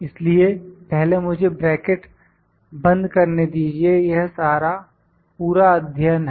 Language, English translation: Hindi, So, first let me close the bracket this is all complete course